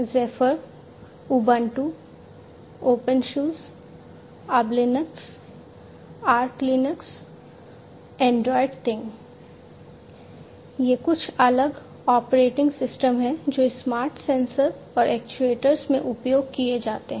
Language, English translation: Hindi, Zephyr, Ubuntu, Opensuse Ublinux, Archlinux, Androidthing, these are some of the different operating systems that are used in the smart sensors and actuators